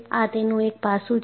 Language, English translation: Gujarati, This is one aspect of this